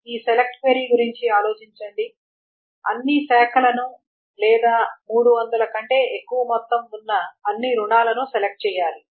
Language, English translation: Telugu, Think of this select query, select all branches or select all loans whose amount is greater than 300, etc